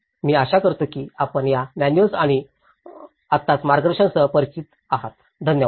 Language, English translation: Marathi, I hope you are familiar with these manuals now and the guidance, thank you very much